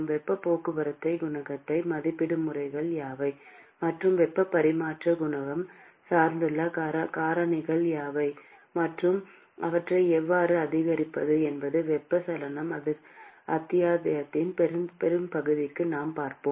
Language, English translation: Tamil, What are the methods by which heat transport coefficient can be estimated; and what are the factors on which the heat transfer coefficient depends upon; and how to increase them is what we will see for most of the convection chapter